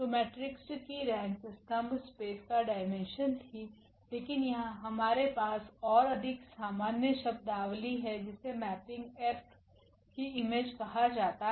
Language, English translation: Hindi, So, the rank of the matrix was the dimension of the column space, but here we have the more general terminology that is called the image of the mapping F